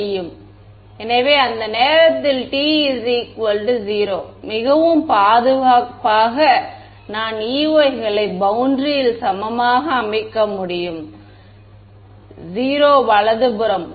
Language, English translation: Tamil, So, at time t is equal to 0 very safely I can set the E ys on the boundary to be equal to 0 right